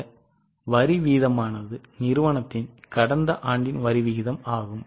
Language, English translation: Tamil, This is the tax rate applicable to the company in the last year